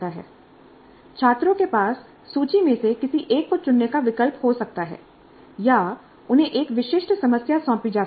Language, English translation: Hindi, Students may have a choice in selecting one from the list or they may be assigned a specific problem